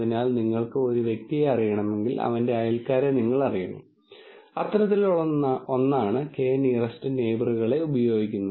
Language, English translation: Malayalam, So, its something like if you want to know a person, you know his neighbors, something like that is what use using k nearest neighbors